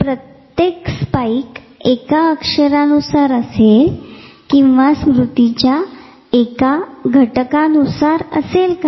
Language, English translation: Marathi, So, is it possible that each spike corresponds to a letter or one feature of that memory